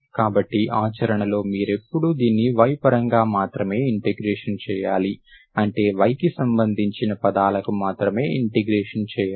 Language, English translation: Telugu, So in practice you, you have to integrate this with respect to y, only terms that involving y, not only terms of y only you should integrate, that will continue